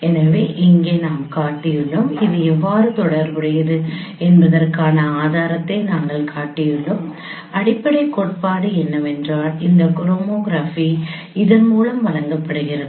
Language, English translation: Tamil, So here we shown, we have shown a proof that how it is related the the basic theorem is that this homography is given by this